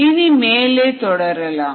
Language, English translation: Tamil, you can go on